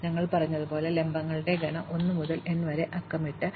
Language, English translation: Malayalam, As we said the set of vertices is numbered 1 to n